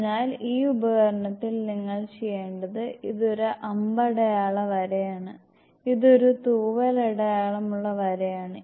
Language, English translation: Malayalam, So, in this apparatus what you have to do is this is an arrow headed line; this is a feather headed line